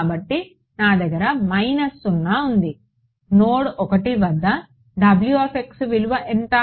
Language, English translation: Telugu, So, I have minus 0 what is the value of W x at node 1